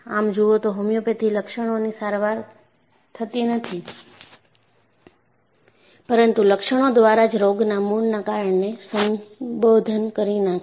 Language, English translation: Gujarati, If you look at, homeopathy does not treat symptoms, but addresses the root cause of a disease through the symptoms